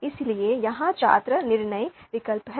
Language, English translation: Hindi, So, students are here are the decision alternatives